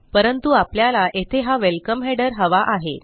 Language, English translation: Marathi, But the point is that we want this welcome header here